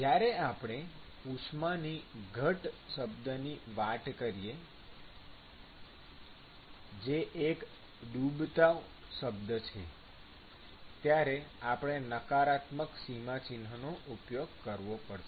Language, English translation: Gujarati, So, when you have a heat loss term, when you have a sink term or heat loss term, then you have to use a negative sign